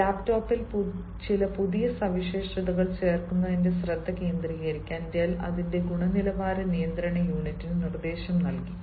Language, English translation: Malayalam, dell has instructed its quality control unit this quality control unit is a part of an organization to concentrate on adding some new features in its laptop